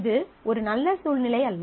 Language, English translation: Tamil, So, this is not a very good situation